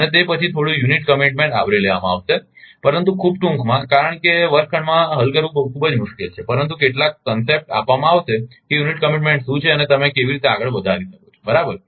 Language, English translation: Gujarati, And after that ah little bit unit commitment will be ah covered, but in very brief because very difficult to solve in the classroom, but some concept will be given that what is unit commitment and how you one can proceed right so